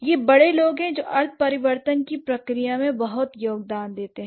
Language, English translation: Hindi, And it's the adults who contribute a lot in the process of semantic change